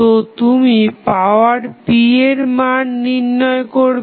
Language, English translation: Bengali, So, you will find out the value of power p